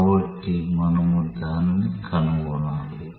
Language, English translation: Telugu, So, we have to find that out